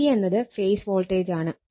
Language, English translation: Malayalam, And V p is equal to my phase voltage